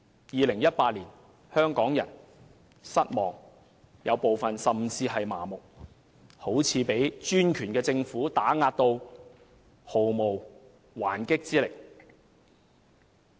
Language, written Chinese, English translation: Cantonese, 2018年，香港人感到失望，部分人甚至感到麻木，好像被專權的政府打壓得毫無還擊之力。, The year 2018 is a year of disappointment to Hong Kong people . Some have even turned apathetic filled with a heavy sense of helplessness before the suppression of the authoritarian government